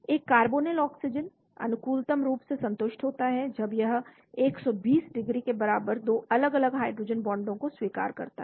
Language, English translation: Hindi, A carbonyl oxygen is optimally satisfied when it accepts 2 different hydrogen bonds close to 120 degrees